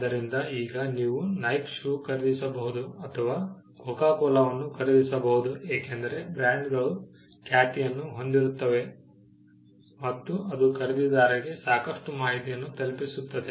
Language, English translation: Kannada, So, now you could buy a Nike shoe or purchase Coca Cola because, the brands had a repetition which conveyed quite a lot of information to the buyer